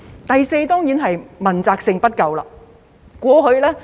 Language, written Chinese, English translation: Cantonese, 第四，當然是問責性不夠。, Fourth it is lack of accountability of course